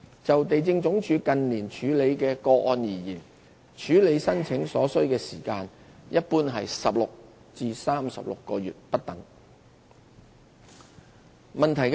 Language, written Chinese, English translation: Cantonese, 就地政總署近年處理的個案而言，處理申請所需時間一般約為16至36個月不等。, As far as cases processed by LandsD in recent years are concerned the actual processing time generally ranged from about 16 months and 36 months